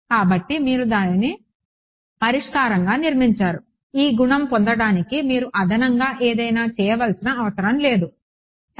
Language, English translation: Telugu, So, you build it into the solution, you do not have to do something extra to get this property yeah ok